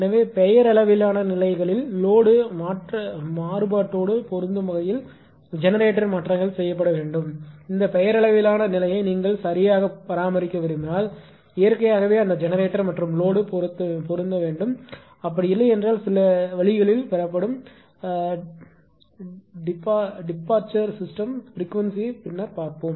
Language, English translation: Tamil, So, that is why generation changes must be made to match the load variation at the nominal conditions, if the nominal state is to be maintained right if you want to maintain this nominal state then naturally that generation and load, it should match, right, if it is not, then it will be obtained in some way, right at the departure of the system frequency we will come later